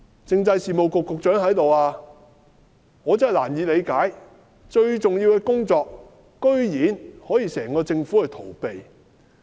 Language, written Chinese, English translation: Cantonese, 政制事務局局長在席，我真是難以理解，如此重要的工作，居然可以整個政府去逃避。, The Secretary for Constitutional and Mainland Affairs is present . I am truly perplexed as to why the entire Government can evade such an important task